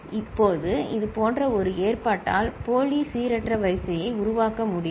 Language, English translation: Tamil, Now, such an arrangement can give rise to, can generate pseudo random sequence